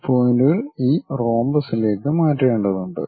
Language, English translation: Malayalam, These points have to be transfer on to this rhombus